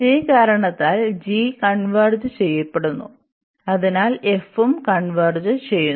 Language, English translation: Malayalam, So, this is a and that is a reason here if this g converges, so the f will also converge